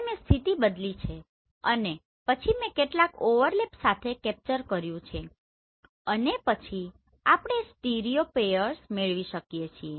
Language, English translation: Gujarati, Now I have changed the position and then I have captured with some overlap and then we can have the stereopairs